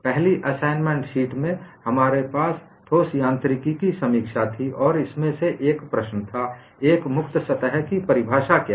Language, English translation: Hindi, In the first assignment sheet, we had a review of solid mechanics, and one of the problems asked was, what is the definition of a free surface